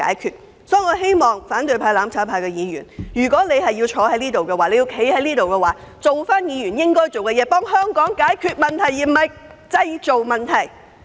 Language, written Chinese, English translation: Cantonese, 因此，我希望反對派、"攬炒派"議員若要留在議會，便應善盡議員的職責，協助香港解決問題而非製造問題。, Thus I hope that Members belonging to the opposition camp and the mutual destruction camp would fulfil their duties as Members of this Council to help Hong Kong resolve problems instead of creating problems if they mean to stay in office